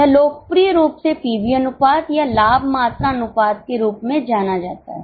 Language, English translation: Hindi, It is also more popularly it is known as pv ratio or profit volume ratio